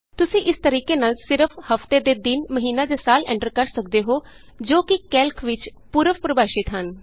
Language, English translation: Punjabi, You can enter only weekdays, month or year by the same method as they are pre defined in Calc